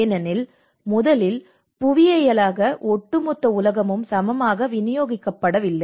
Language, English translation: Tamil, Because first of all, we are the whole geography has been unevenly distributed